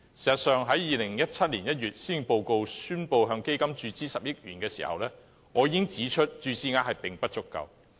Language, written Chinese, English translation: Cantonese, 事實上，在2017年1月施政報告宣布向該基金注資10億元時，我已指出注資額並不足夠。, In fact when the injection of 1 billion into the Fund was announced in the Policy Address in January 2017 I already pointed out that the amount of injection was not enough